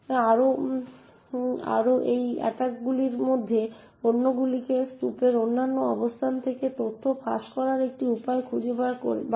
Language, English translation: Bengali, Further on many of these attacks also just figure out a way to leaked information from other locations in the heap